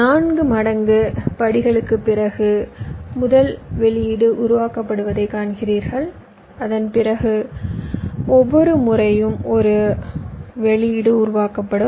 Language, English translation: Tamil, you see, after four times steps, the first output is generated and after that, in every time steps, one output will get generated